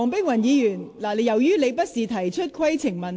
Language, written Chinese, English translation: Cantonese, 黃議員，請停止發言，這不是規程問題。, Dr WONG please stop speaking . This is not a point of order